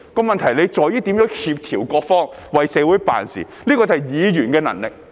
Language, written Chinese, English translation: Cantonese, 問題在於如何協調各方，為社會辦事，這是議員的能力。, At issue is the coordination of different parties to serve the community which counts on the ability of Members